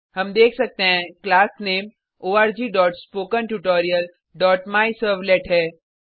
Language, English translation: Hindi, We can see that the Class Name is org.spokentutorial.MyServlet